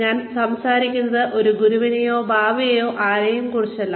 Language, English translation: Malayalam, I am not talking about, a guru, or a baba, or anyone